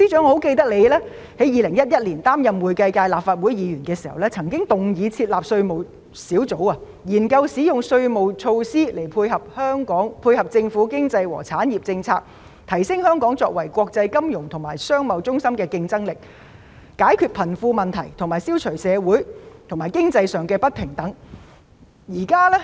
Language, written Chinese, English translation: Cantonese, 我記得司長在2011年擔任會計界立法會議員時，曾動議設立稅務小組，研究使用稅務措施配合政府經濟和產業政策，提升香港作為國際金融和商貿中心的競爭力，解決貧富問題，消除社會及經濟上的不平等。, I remember when the Financial Secretary served as a Legislative Council Member representing the accounting profession in 2011 he proposed setting up a tax team to study the use of tax measures to complement the Governments economic and industrial policies so as to enhance Hong Kongs competitiveness as an international financial business and trade centre; solve the problem of a wealth gap and eliminate social and economic inequality